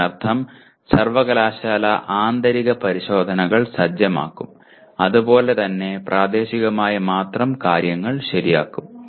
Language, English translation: Malayalam, That means the university will set the internal tests as well as, only thing is corrected at locally